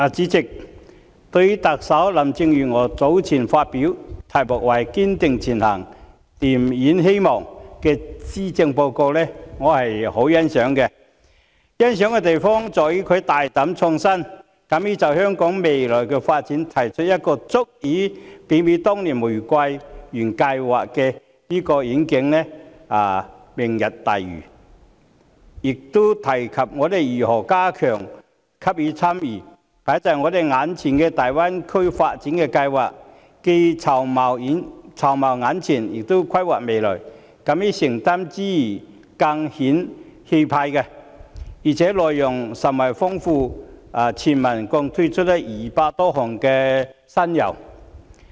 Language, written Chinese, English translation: Cantonese, 代理主席，對於特首林鄭月娥早前發表題為"堅定前行燃點希望"的施政報告，我是十分欣賞的，欣賞的地方在於她大膽創新，敢於就香港未來的發展提出一個足以媲美當年玫瑰園計劃的願景——"明日大嶼"，亦提及我們如何加強參與放在我們眼前的大灣區發展計劃，既籌謀眼前，亦規劃未來，敢於承擔之餘，更顯氣魄，而且內容甚為豐富，全文共推出200多項新猷。, Deputy President I very much appreciate this Policy Address entitled Striving Ahead Rekindling Hope presented some time ago by Chief Executive Carrie LAM . I appreciate it in that she dared to be innovative by boldly proposing the Lantau Tomorrow Vision which can be compared to the Rose Garden Project many years back and she also mentioned how we can enhance our participation in the Greater Bay Area development plan before us now making preparations in the nearer term and drawing up plans for the future . It also shows the courage to make commitments and demonstrates the boldness of vision not to mention its enriched contents with over 200 new initiatives introduced altogether